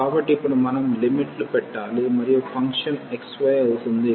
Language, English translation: Telugu, So, now, we need to just put the limits and the function will be xy